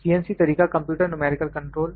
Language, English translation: Hindi, CNC mode is computer numerical control